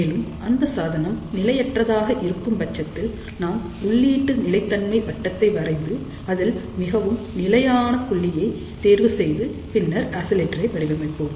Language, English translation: Tamil, And if the device is unstable, in that particular case we will draw input stability circle and choose a point which is most unstable and then we design oscillator